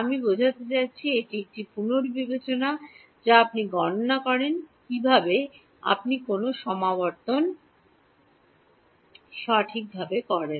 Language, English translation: Bengali, I mean this is a revision of how you calculate how you do a convolution right